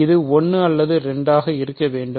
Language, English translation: Tamil, So, it has to be either 1 or 2